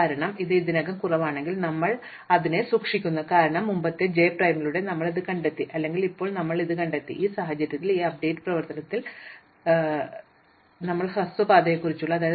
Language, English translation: Malayalam, Because, if it was already less and we keep it that way, because we found it through previous j prime or we have found it now in which case we have updated it on this update operation